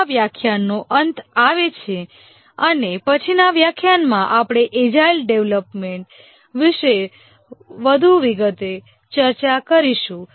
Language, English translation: Gujarati, For this lecture, we will just come to the end and in the next lecture we will discuss more details about the agile development model